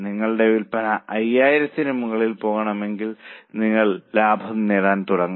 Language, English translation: Malayalam, When your sales go above 5,000 you will start making profit